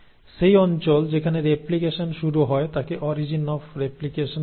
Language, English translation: Bengali, So that region where the replication actually starts is called as the origin of replication